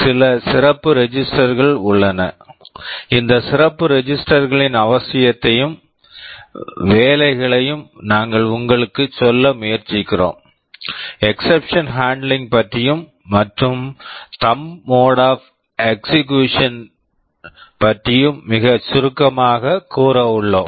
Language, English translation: Tamil, There are some special registers, we shall be trying to tell you the necessity and roles of these special register; something about exception handling and there is something called thumb mode of execution also very briefly about that